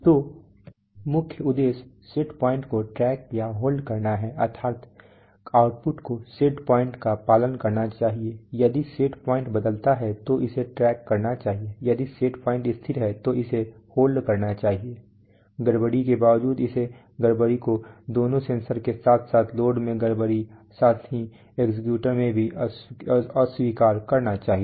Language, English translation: Hindi, So the main objective is to track or hold set points that is the output should follow the set point if the set point changes it should track it, if the set point is constant it should hold it, irrespective of disturbances it should reject disturbances, both in the sensor as well as load disturbances, as well as in the actuator